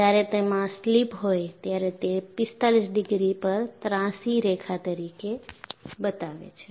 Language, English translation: Gujarati, When I have slip that is shown as a slanted line at 45 degrees